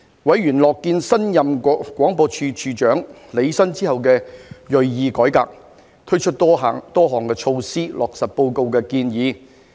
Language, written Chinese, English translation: Cantonese, 委員樂見新任廣播處長履新之後的銳意改革，推出多項措施，落實報告的建議。, Members were pleased to see that the new Director of Broadcasting had taken up the post with a strong commitment to reform and introduced a number of measures to implement the recommendations of the Report